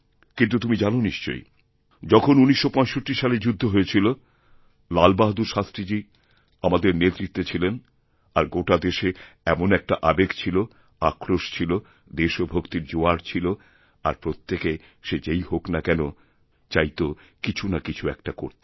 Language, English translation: Bengali, But, you must be aware that during the 1965war, Lal bahadur Shastri Ji was leading us and then also similar feelings of rage, anger and patriotic fervour were sweeping the nation